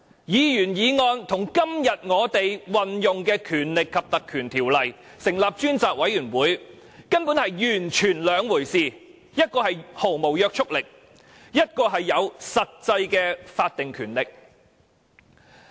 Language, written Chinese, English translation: Cantonese, 議員議案與今天這項引用《立法會條例》成立專責委員會的議案，根本是完全不同的兩回事，前者毫無約束力，後者則有實際的法定權力。, Moving a Members motion and moving the current motion under the Legislative Council Ordinance to appoint a select committee are two completely different matters . While the former has utterly no binding effect the latter is vested with actual statutory powers